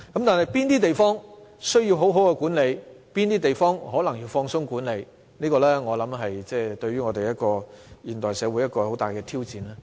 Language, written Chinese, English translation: Cantonese, 至於哪些地方需要妥善管理，哪些地方需要寬鬆管理，我相信這是現代社會的一大挑戰。, A major challenge of the modern society is to be clear about which areas will need proper management and which areas require relaxed management